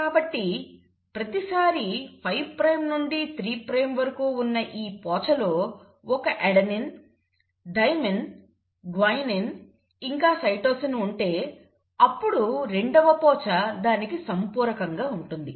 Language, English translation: Telugu, So every time in this strand, 5 prime to 3 prime, you let's say have an adenine, a thymine, a cytosine and a guanine, what will happen is the second strand will be complementary to it